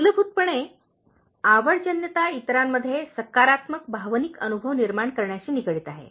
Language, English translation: Marathi, Basically, likeability comes down to creating positive emotional experiences in others,